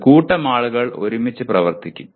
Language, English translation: Malayalam, A group of people will work together